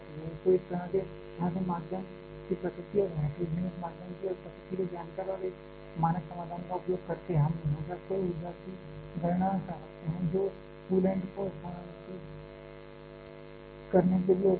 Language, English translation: Hindi, So, this way by knowing the nature of the medium and nature of the heterogeneous medium and also the using a standard solutions we can always calculate the total amount of energy that is available to be transferred to the coolant